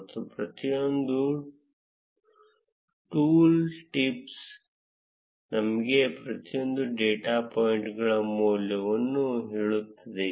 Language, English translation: Kannada, And each of the tool tips tells us the value for each of the data points